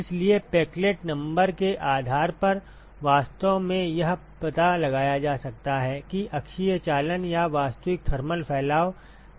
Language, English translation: Hindi, So, depending upon the peclet number one could actually sort of discern as to when the axial conduction or actual thermal dispersion is important ok